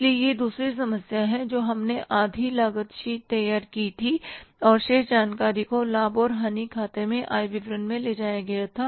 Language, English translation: Hindi, So, this is the second problem we did where we prepared half cost sheet in the cost sheet and remaining information was taken to the income statement to the profit and loss account